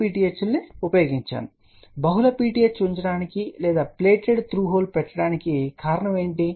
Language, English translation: Telugu, So, what is the reason for putting multiple PTH or plated through hole